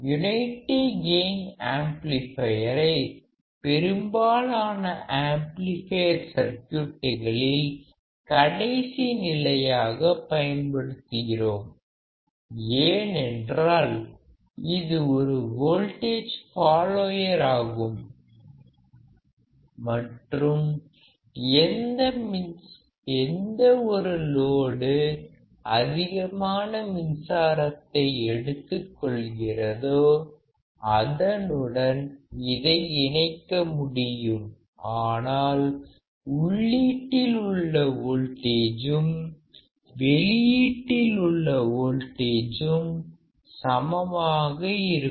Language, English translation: Tamil, The unity gain amplifier is also used as the last stage in most of the amplifying circuits because it is a voltage follower and can be connected to any load which will draw lot of current, but the voltage at the input will be same at the output